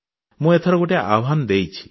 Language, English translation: Odia, This time I have made an appeal